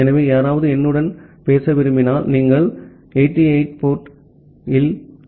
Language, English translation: Tamil, So, if anyone wants to talk to me, you can send data at the port 8080